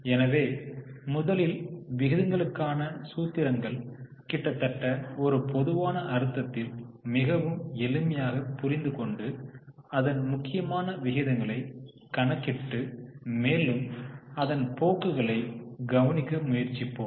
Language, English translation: Tamil, So, first one, now the formulas for the ratios are pretty simple, almost common sense, but let us try to calculate the important ratios and observe the trends in it